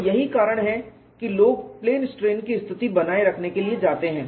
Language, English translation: Hindi, So, this is the reason why people go in for maintaining plane strain condition